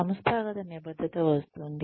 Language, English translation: Telugu, Organizational commitment comes in